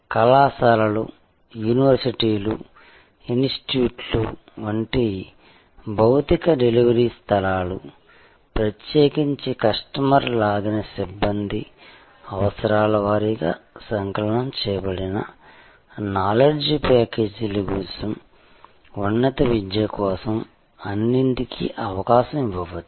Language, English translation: Telugu, Physical delivery places like the colleges, universities, institutes, may all give way particularly for the higher education to customer pulled personnel requirement wise compiled, knowledge packages